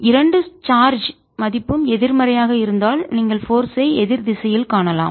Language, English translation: Tamil, if the two charges are negative, then you can see the force in the opposite direction